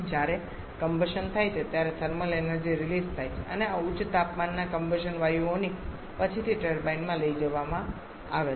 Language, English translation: Gujarati, Combustion happens thermal energy is released and this high temperature combustion gases are subsequently taken to the turbine